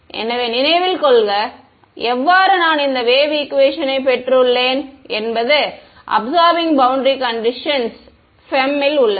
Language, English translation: Tamil, So, remember how we have derived the this wave equation I mean the absorbing boundary condition is in FEM